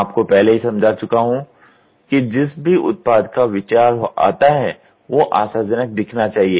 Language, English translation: Hindi, I have already explain to you then comes the product idea needed must look promising